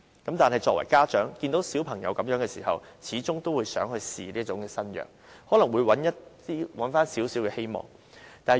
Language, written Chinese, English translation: Cantonese, 然而，作為家長的，看到子女的情況，始終都想嘗試這種新藥，以尋求一絲希望。, Nevertheless when parents see the conditions of their children they will still want to look for a glimpse of hope by trying this new drug